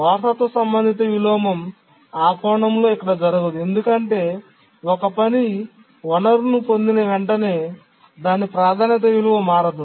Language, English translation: Telugu, The inheritance related inversion in that sense does not occur here because as soon as a task acquires a resource its priority value does not change